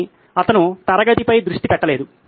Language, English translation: Telugu, But he is not focused on the class